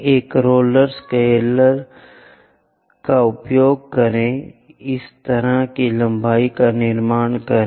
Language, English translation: Hindi, Use a roller scalar, construct such kind of lengths